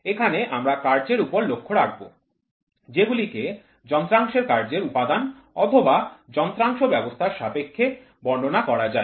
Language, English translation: Bengali, Here we focus on operations which can be described in terms of functional elements of an instrument or the instrument system